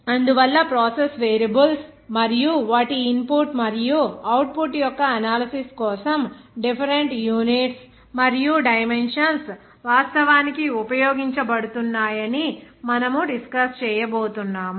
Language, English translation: Telugu, So that is why you are going to discuss that the different units and dimensions are actually used for that analysis of process variables and their input and output